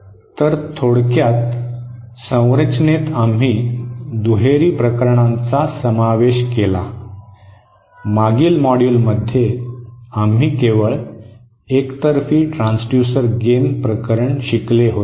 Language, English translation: Marathi, So, in summary, in the structure, we covered the bilateral cases, in the previous module, we had covered only the unilateral transducer gain case